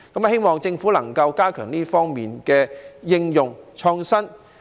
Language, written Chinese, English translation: Cantonese, 希望政府能夠加強這方面的應用、創新。, I hope that the Government can strengthen application and innovation in this respect